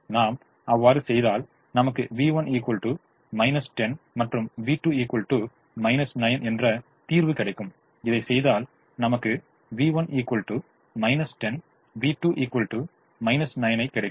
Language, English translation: Tamil, if we do that, we will get v one is equal two minus ten and v two is equal to minus nine